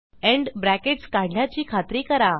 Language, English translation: Marathi, Make sure you remove the end brackets